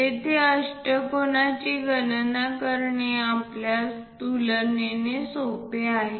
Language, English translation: Marathi, This is the way we construct an octagon